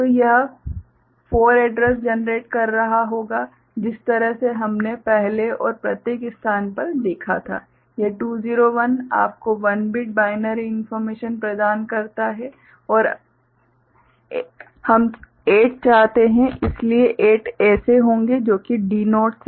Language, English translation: Hindi, So, it will be generating 4 addresses the way we had seen before and in each location, one 201 provides 1 bit of you know binary information and we want 8, so 8 such will be there D naught to D7